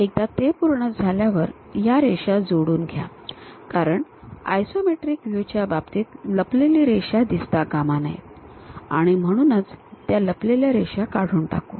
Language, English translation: Marathi, Once that is done draw join these lines because hidden line should not be visible in the case of isometric things, we remove those hidden lines